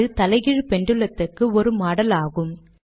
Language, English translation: Tamil, This is a model of an inverted pendulum